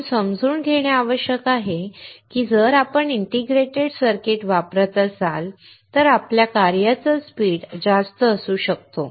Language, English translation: Marathi, What we need to understand now is that, if you use integrated circuits then your operating speeds can be higher